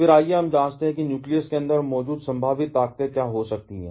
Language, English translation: Hindi, Then, let us check what can be the possible forces that can be present inside the nucleus